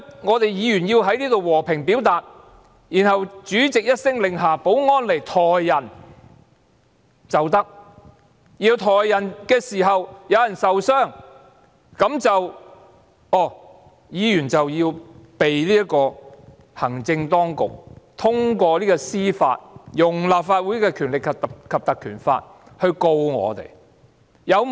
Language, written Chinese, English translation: Cantonese, 我們議員在這裏和平表達意見，然後主席一聲令下，保安人員便可以上前把人抬走；而抬走人時有人受傷，行政當局便透過司法制度，引用《條例》來控告我們。, We Members expressed our views here peacefully . Then the President gave his order and the security officers readily came forward to carry us away . When we were being carried away someone got injured